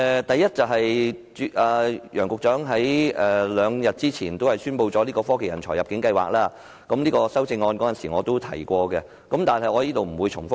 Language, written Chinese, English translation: Cantonese, 第一，楊局長在兩天前宣布推出科技人才入境計劃，我在修正案中也有提及，所以在此不會再重複。, Firstly it is the Technology Talent Admission Scheme announced by Secretary Nicolas YANG two days ago which is also mentioned in my amendment and so I am not going to repeat